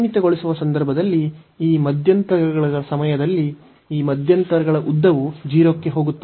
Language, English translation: Kannada, So, in the limiting case, when these intervals the length of these intervals are going to 0